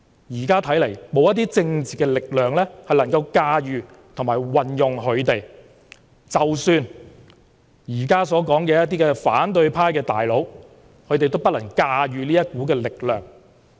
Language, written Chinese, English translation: Cantonese, 現在看來沒有任何政治力量能夠駕馭和利用他們，即使現在說的反對派"大佬"，也不能駕馭這股力量。, It seems that no political power can control and manipulate them not even the so - called big boss of the opposition camp